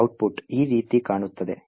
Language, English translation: Kannada, The output looks as follows